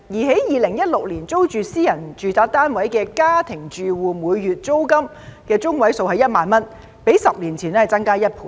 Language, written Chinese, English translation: Cantonese, 在2016年租住私人住宅單位的家庭住戶每月租金中位數為1萬元，較10年前增加1倍。, In 2016 the median monthly rent of domestic households renting private residential flats was 10,000 which doubled the level a decade ago